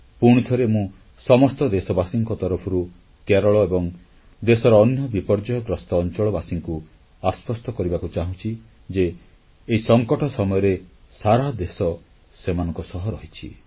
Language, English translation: Odia, Once again on behalf of all Indians, I would like to re assure each & everyone in Kerala and other affected places that at this moment of calamity, the entire country stands by them